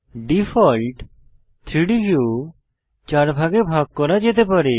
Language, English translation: Bengali, The default 3D view can be divided into 4 parts